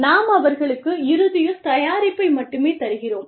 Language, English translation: Tamil, We give them the end product